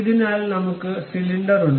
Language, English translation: Malayalam, So, we have this cylinder